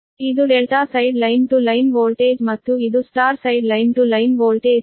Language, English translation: Kannada, this is delta side line to line voltage and this is star side line to line voltage v a b